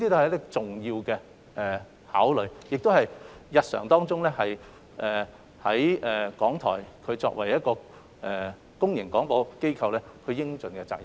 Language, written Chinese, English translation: Cantonese, 這是重要的考慮，也是港台日常作為公營廣播機構所應盡的責任。, They are not only important considerations but also RTHKs due responsibilities which RTHK should discharge in its daily operation as a public service broadcaster